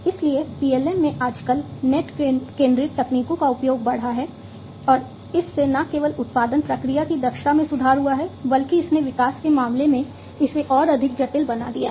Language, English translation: Hindi, So, net centric technologies have increased in their use in PLM nowadays, and that has also not only improved not only increased the efficiency of the production process, but has also made it much more complex, in terms of development